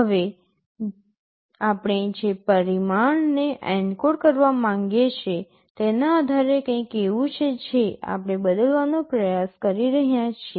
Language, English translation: Gujarati, Now, depending on the parameter we want to encode there is something we are trying to vary